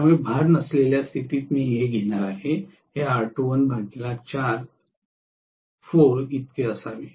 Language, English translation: Marathi, So under no load condition I am going to have this had to be R2 dash by 4